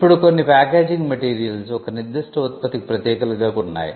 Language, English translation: Telugu, Now there are some packaging materials there are unique to a particular product that can also be covered